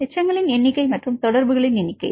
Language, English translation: Tamil, Number of residues and number of contacts